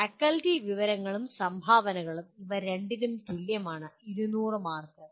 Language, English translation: Malayalam, Faculty information and contributions, they are the same for both, 200 marks